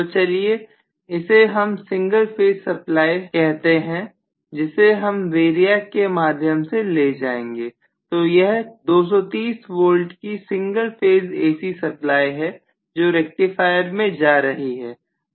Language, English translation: Hindi, So let us say this is the single phase supply from which I am going to pass it through the variac so this is single phase 230 volt AC supply, right, which actually goes to the rectifier